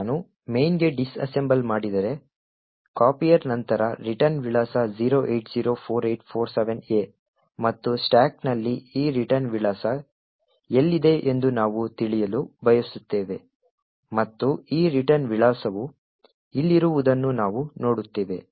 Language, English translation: Kannada, Now if I disassemble main, the return address after copier is 0804847A and we want to know where this return address is present on the stack and we see that this return address is present over here